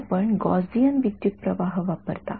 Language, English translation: Marathi, So, you use a Gaussian current